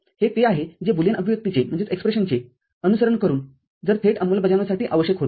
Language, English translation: Marathi, This is this was what was required if it goes for direct implementation just following the Boolean expression